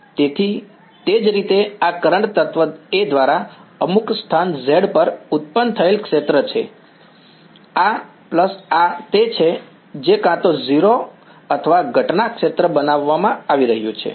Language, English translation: Gujarati, So, similarly this is the field produced by the current element A at some location z, this plus this is what is being made equal to either 0 or the incident field ok